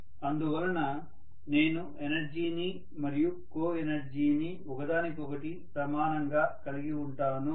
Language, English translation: Telugu, So I will have energy and co energy to be equal to each other